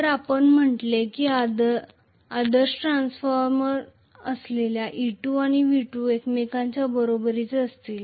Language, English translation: Marathi, So, we said E2 and V2 will be equal to each other if it is ideal transformer